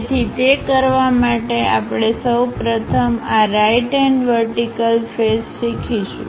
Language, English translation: Gujarati, So, to do that, we are going to first of all learn this right hand vertical face